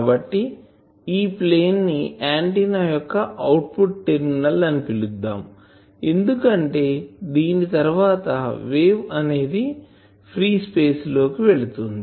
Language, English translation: Telugu, So, we can say that this plane here we can call this as the something like output terminal of an antenna, because after this the wave is being launched in free space